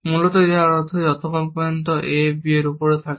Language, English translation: Bengali, My first goal was that a should be on b